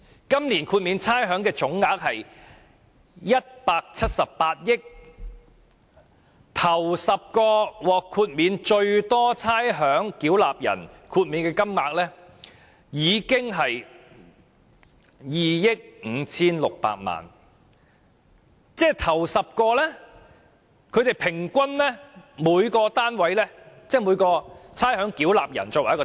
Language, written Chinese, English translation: Cantonese, 今年豁免差餉總額是178億元，首10名獲得最多差餉豁免的差餉繳納人，所獲豁免的金額達2億 5,600 萬元，即每人平均獲豁免 2,560 萬元。, The total amount of rates concession this year will be 17.8 billion . For the top 10 ratepayers to receive the largest amounts of rates concession the total rates concession amounts to 256 million meaning that each ratepayer will on average save 25.6 million in rates